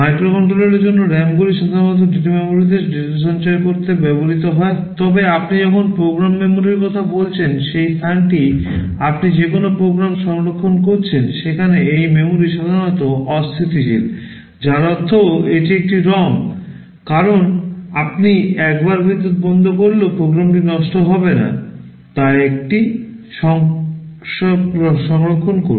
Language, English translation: Bengali, For microcontroller RAMs are typically used to store data in the data memory, but when you talking about program memory the place where you are storing a program, this memory is typically non volatile; which means because it is a ROM, once you store it even if you switch off the power the program will not get destroyed